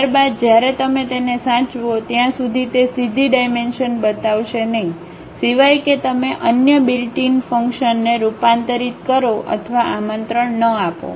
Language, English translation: Gujarati, Thereafter, when you save that, it would not directly show the dimensions unless you convert or invoke other built in functions